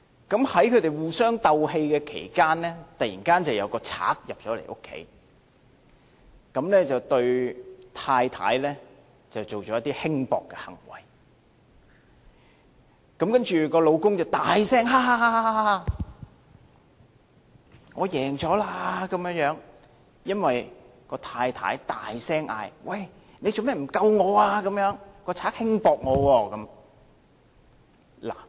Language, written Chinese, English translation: Cantonese, 在他們互雙鬥氣期間，突然有一個賊入屋，這個賊對太太做了一些輕薄行為，然後丈夫便大聲："哈哈哈，我勝了"，因為這太太大聲說："你為甚麼不救我？, In the course of their quarrel a thief broke into their house . The thief did some frivolous acts against the wife and the husband said loudly Ha ha ha . I win because the wife said loudly why didnt you rescue me?